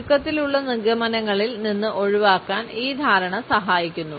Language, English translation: Malayalam, This understanding helps us to avoid hasty conclusions